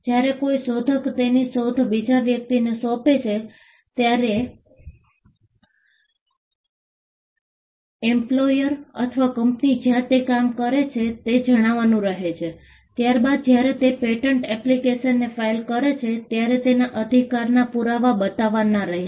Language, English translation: Gujarati, When an inventor assigns his invention to another person, say the employer or the company where he works, then the company, when it files in patent application, it has to show the proof of right